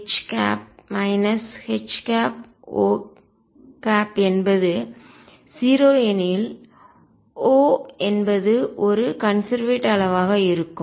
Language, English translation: Tamil, If O H minus H O is 0; that means, O would be a conserved quantity